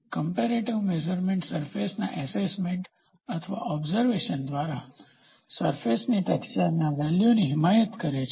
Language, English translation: Gujarati, Comparative measurement advocates assessment of surface texture by observation or feel of the surface